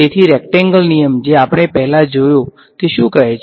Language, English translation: Gujarati, So, the rectangle rule that we saw earlier what did it say